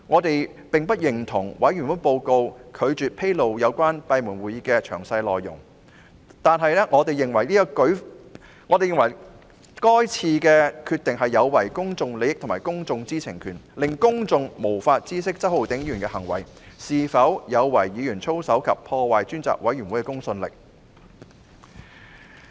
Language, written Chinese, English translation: Cantonese, 對於專責委員會報告未有披露有關閉門會議的詳細內容，我們並不認同，認為這項決定有違公眾利益及公眾知情權，令公眾無法知悉周浩鼎議員的行為有否違反議員操守及破壞專責委員會的公信力。, We disagree with the Select Committees decision of not disclosing the details of the closed meeting at its report . We consider that this decision is contrary to public interest and the publics right to know making it impossible for the public to be informed of whether Mr Holden CHOWs behaviour has breached Members code of conduct and undermined the credibility of the Select Committee